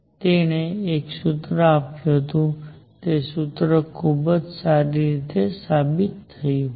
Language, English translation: Gujarati, So, he gave a formula all right, and that formula turned out to be very good